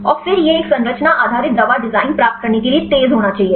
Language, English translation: Hindi, And then it should be fast to get this a structure based drug design